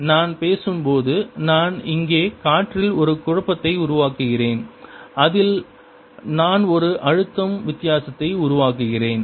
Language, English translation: Tamil, when i am speaking, i am creating a disturbance in the air out here, in that i am creating a pressure difference